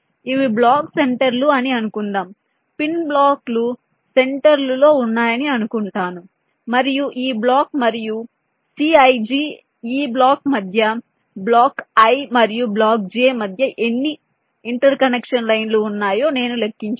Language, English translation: Telugu, i assume that the pins are residing at the centers of blocks and i calculate how many interconnection lines are there between this block and this block, that is, c i j between block i and block j